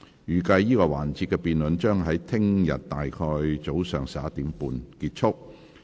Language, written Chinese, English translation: Cantonese, 預計這個環節的辯論將於明天上午大約11時30分結束。, The debate in this session is expected to come to a close at around 11col30 am tomorrow